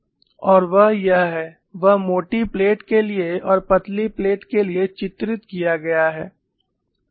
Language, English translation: Hindi, And that is what is depicted for a thick plate and for a thin plate